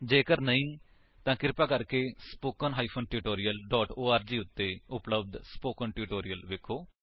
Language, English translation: Punjabi, If not, please see the spoken tutorial on these topics, available at spoken tutorial.org